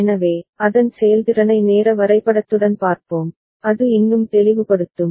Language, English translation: Tamil, So, we shall see its performance with timing diagram that will make it more clear